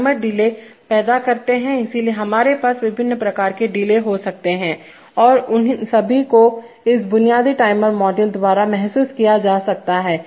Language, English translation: Hindi, Now timers can be, timers create delay, so we can have various types of delays and all of them can be realized by this, by this basic timer module